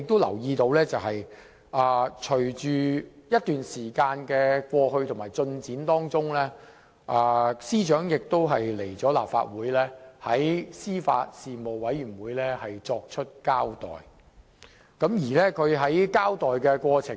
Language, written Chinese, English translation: Cantonese, 然而，隨着時間過去，我留意到司長已在立法會司法及法律事務委員會會議上作出交代。在她的交代過程中......, Nevertheless with the passage of time I noticed that the Secretary for Justice made a clean breast of the incident at a meeting of the Legislative Council Panel on Administration of Justice and Legal Services